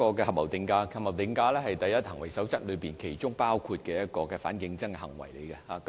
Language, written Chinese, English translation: Cantonese, 合謀定價是"第一行為守則"裏其中一項反競爭行為。, Collusive price - fixing is one of the anti - competitive practices under the first conduct rule